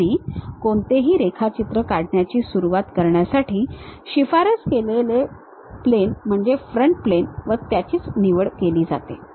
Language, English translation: Marathi, And, the recommended plane to begin any drawing is pick the front plane